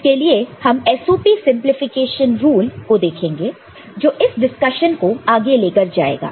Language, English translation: Hindi, So, for which we look at SOP simplification rule which is taking forward this discussion